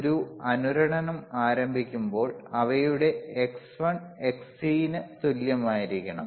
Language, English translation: Malayalam, wWhen a resonant starts, then theirre xXl will be equal to xXcc